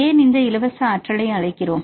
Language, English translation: Tamil, And you can see the free energy